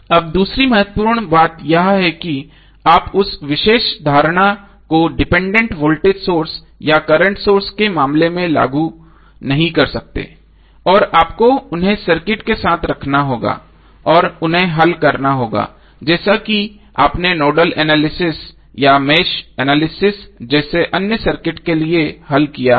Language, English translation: Hindi, Now second important thing is that you cannot do that particular, you cannot apply that particular assumption in case of dependent voltage or current sources and you have to keep them with the circuit and solve them as you have solved for others circuits like a nodal analyzes or match analyzes